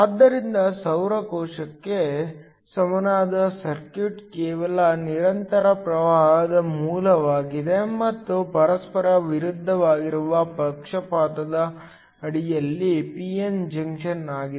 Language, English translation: Kannada, So, The equivalent circuit for a solar cell is just a constant current source and a p n junction under forward bias which oppose each other